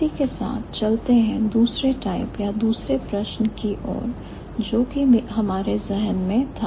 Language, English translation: Hindi, With this, let's move over to the second type or to the second question that we had in mind